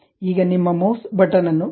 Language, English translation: Kannada, Now, release your mouse button